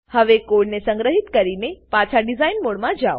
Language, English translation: Gujarati, Now Save the code and go back to design mode